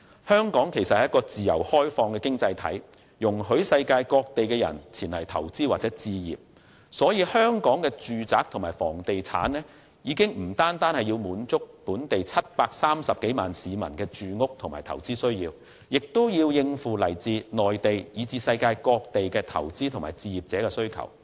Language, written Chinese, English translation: Cantonese, 香港是一個自由開放的經濟體，容許世界各地的人前來投資或置業，所以香港的住宅和房地產不止是要滿足本地730多萬市民的住屋和投資需要，亦要應付來自內地以至世界各地的投資者和置業者的需求。, Given that Hong Kong is a free and open economy which allows people from all over the world to come here for investment or home acquisition residential properties of Hong Kong should not only cater for the housing and investment needs of some 7.3 million local residents but also those of investors and home buyers from the Mainland and the rest of the world